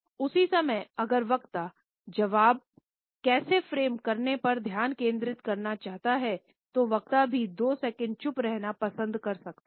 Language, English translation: Hindi, At the same time if the speaker wants to focus on how to frame the reply, the speaker may also prefer to remain silent for a couple of seconds